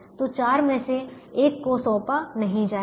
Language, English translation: Hindi, so one out of the four is not going to be assigned